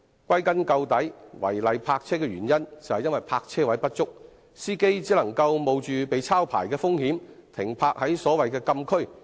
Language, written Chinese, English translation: Cantonese, 歸根究底，違例泊車的原因是泊車位不足，司機只能冒着被抄牌的風險，把車輛停泊在所謂的禁區。, In fact the root cause of the problem is a shortage of parking spaces which leaves drivers with no choice but to park in the prohibited zones at the risk of being booked